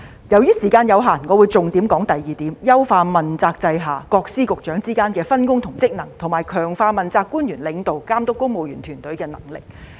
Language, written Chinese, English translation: Cantonese, 由於時間有限，我會重點談談議案的第二點："優化問責制下各司局之間的分工及職能，並強化政治問責官員領導及監督公務員團隊的能力"。, Considering the time limit I will focus my speech on the second point in the motion [I]mproving the division of work and functions among various Secretaries Offices and Bureaux under the accountability system and strengthening the capabilities of politically accountable officials in leading and supervising the civil service